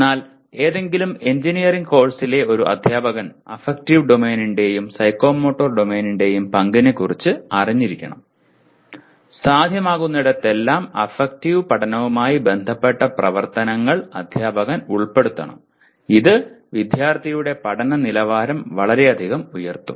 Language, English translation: Malayalam, But a teacher of any engineering course should be aware of the role of affective domain and psychomotor domain and wherever possible the activities related to affective learning should be incorporated by, by the teacher which will greatly enhance the quality of learning by the student